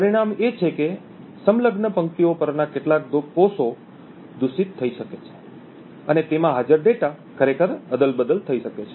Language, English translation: Gujarati, The result is that certain cells on the adjacent rows may get corrupted and the data present in them may actually be toggled